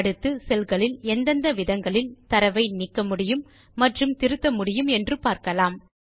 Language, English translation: Tamil, Next we will learn about different ways in which we can delete and edit data in the cells